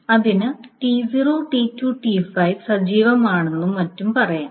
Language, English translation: Malayalam, So it can say T0 is active, T2 is active, T5 is active, so on so